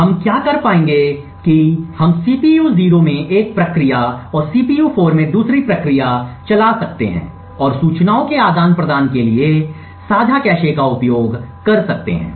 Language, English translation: Hindi, What we would be able to do is we could run one process in the CPU 0 and one process in CPU 4 and make use of the shared cache to exchange information